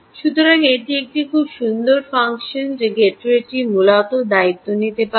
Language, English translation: Bengali, so this is one very nice function that the gateway can ah, essentially take responsibility of